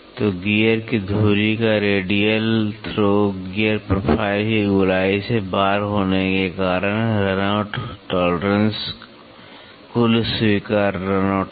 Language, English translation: Hindi, So, a radial throw of the axis of a gear, due to the out of roundness of a gear profile, the run out tolerance is the total allowable run out